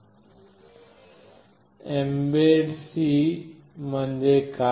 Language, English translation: Marathi, Firstly, what is Mbed C